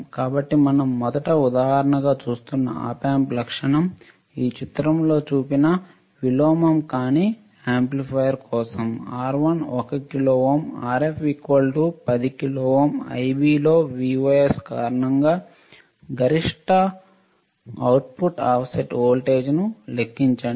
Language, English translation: Telugu, So, Op Amp characteristic we are looking at as an example first is for the non inverting amplifier shown in figure this one, R1 is 1 kilo ohm Rf equals to 10 kilo ohm calculate the maximum output offset voltage due to Vos in Ib